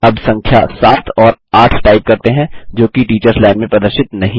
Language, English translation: Hindi, Now, lets type the numbers seven amp eight, which are not displayed in the Teachers Line